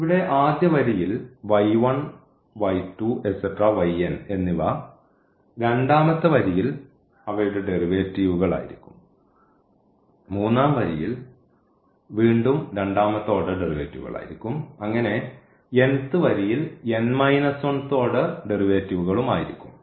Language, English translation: Malayalam, So, the first row here this y 1, y,2, y 3, y n the second row will have their derivatives third row again second order derivative and this nth row will have n minus 1th order derivatives